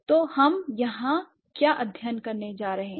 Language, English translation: Hindi, So, what are we going to study here